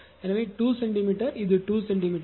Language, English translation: Tamil, And here also this is the 2 centimeter